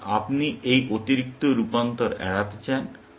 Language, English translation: Bengali, So, you want to avoid that extra transformation